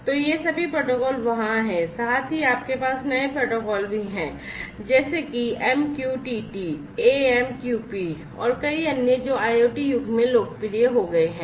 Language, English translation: Hindi, So, all these protocols have been there plus you have new protocols such as MQTT, AMQP and many others which have become popular in the IoT era